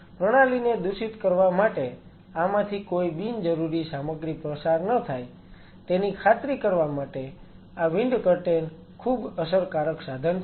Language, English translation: Gujarati, These wind curtains are very effective tool to ensure that no unnecessary material kind of passes through it to contaminate the system